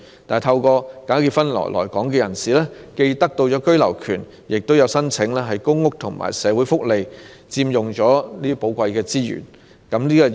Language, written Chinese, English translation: Cantonese, 但是，透過假結婚來港的人士既獲得居留權，有些還申請公屋和社會福利，佔用香港的寶貴資源。, However people coming to settle in Hong Kong by way of bogus marriages have not only been granted the right of abode some of them have even applied for public housing and social welfare benefits thereby consuming the valuable resources of Hong Kong